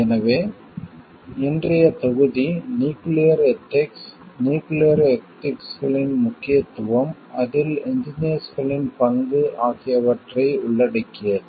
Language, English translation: Tamil, So, today s module is going to cover nuclear ethics, importance of nuclear ethics, role of engineers in it